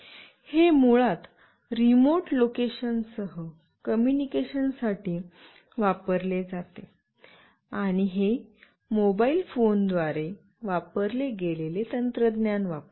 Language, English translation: Marathi, It is basically used for communication with the remote location, and it uses the same technology as used by the mobile phones